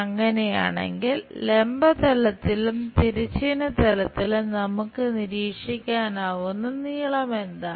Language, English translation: Malayalam, If that is the case, what are the lengths we are observing on the vertical plane and also on the horizontal plane